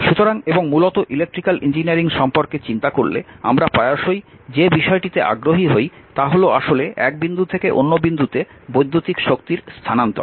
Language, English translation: Bengali, So, and basically if you think about electrical engineering we are often interested that actually electrical transfer in energy from one point to another